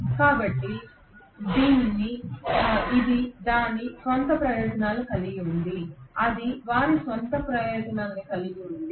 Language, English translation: Telugu, So this have its own advantages, that has their own set of advantages